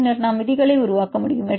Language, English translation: Tamil, And then we can develop the rules